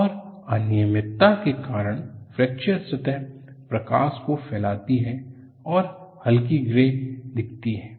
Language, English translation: Hindi, And because of the irregularity, the fracture surface diffuses the light and looks dull grey